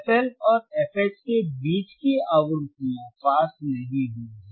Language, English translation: Hindi, tThe frequencies between f L and f H will not pass